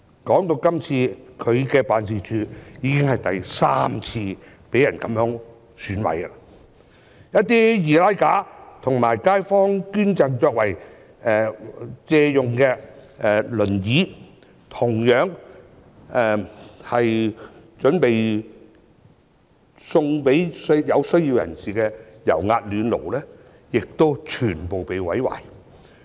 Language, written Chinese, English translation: Cantonese, 他的辦事處今次已經是第三次被損毀，一些易拉架及街坊捐贈作借用用途的輪椅、準備贈予有需要人士的油壓暖爐均全被毀壞。, This is already the third time that his office was vandalized and some easy mount frames wheelchairs donated by residents in the community for loan as well as oil - filled electric radiators for donation to the needy were all destroyed